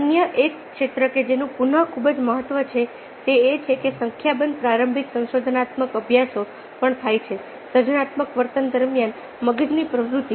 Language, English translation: Gujarati, another area which is again of a fairly great area of significance is that a number of exploratory studies have also taken place: brain activity during creative [behav/ behaviour] behaviour